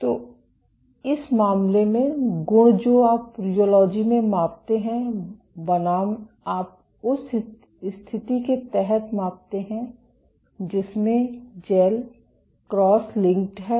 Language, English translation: Hindi, So, in this case the properties that you measure in rheology versus you measure under the condition in this in which the gel is cross linked